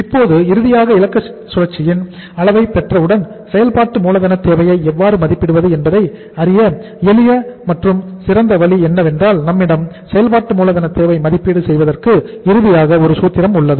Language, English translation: Tamil, Now finally, for say once we get the duration of the operating cycle how to now make the say how to assess the working capital requirement the simple and the best way to do that is that we have a formula here that finally the say working capital requirement assessment, that is working capital requirement assessment